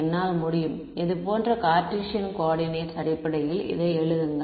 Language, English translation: Tamil, I can write it in terms of Cartesian coordinates like this ok